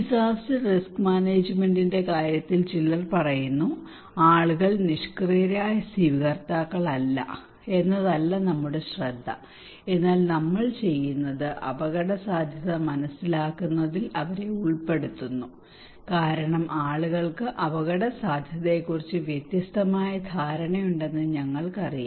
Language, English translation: Malayalam, Some people are saying in case of disaster risk management that our focus is not that people are not passive recipient, but what we do then we actually involve them in understanding the risk because we know people have different understanding of the risk